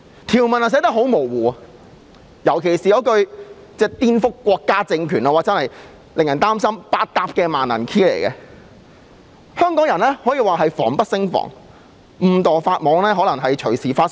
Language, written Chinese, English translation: Cantonese, 條文很模糊，尤其是"顛覆國家政權"那一句，令人擔心這是百搭的萬能鑰匙，令香港人防不勝防，可能隨時誤墮法網。, The clauses are ambiguous . People are particularly concerned that the expression subversion of state power is a skeleton key that may be used against anyone and Hong Kong people will be made defenceless and inadvertently break the law anytime